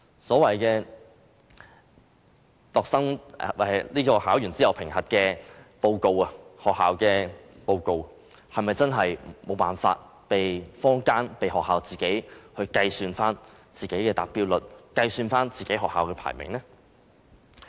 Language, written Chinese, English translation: Cantonese, 所謂考試後的學校報告，是否真的無法被坊間或被學校自行計算其達標率，計算學校的排名呢？, Is there really no way the market or the schools can use the report issued after TSA to work out attainment rates or school ranking?